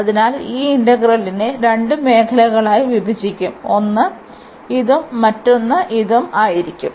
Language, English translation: Malayalam, So, we have to break this integral into two regions one would be this one and the other one would be this one